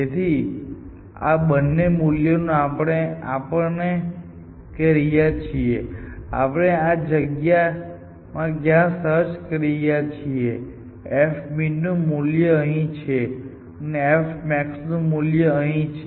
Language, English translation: Gujarati, So, these two values are telling us as to where in this space you are searching, so the value of f min is here and the value of f max is here